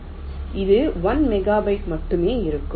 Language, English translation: Tamil, this requires one megabyte